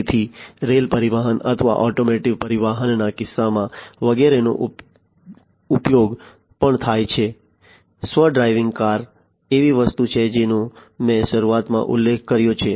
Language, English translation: Gujarati, So, in the case of rail transportation or automotive transportation, etcetera AI is also used, self driving car is something that I mentioned at the outset